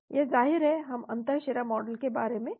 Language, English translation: Hindi, This is of course we are talking about the intravenous model